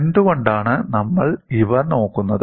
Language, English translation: Malayalam, Why we look at these